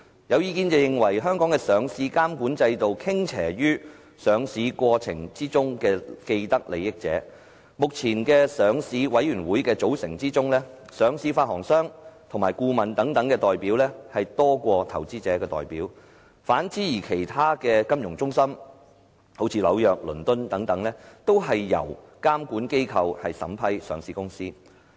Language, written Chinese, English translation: Cantonese, 有意見認為香港的上市監管制度傾斜於上市過程之中的既得利益者，目前上市委員會的組成之中，上市發行商及顧問等代表多於投資者的代表，反而在倫敦及紐約等其他金融中心，都是由監管機構審批上市公司。, There are views that the listing regulatory policies are skewed towards people having vested interests during the listing process . At present in the composition of the listing committee the number of listed issuers and advisers and so on is greater than the number of investor representatives . In contrast in other financial centres such as London and New York listed companies are all approved by their regulatory oversight authorities